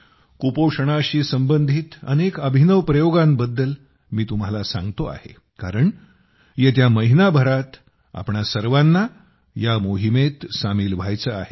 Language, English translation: Marathi, Friends, I am telling you about so many innovative experiments related to malnutrition, because all of us also have to join this campaign in the coming month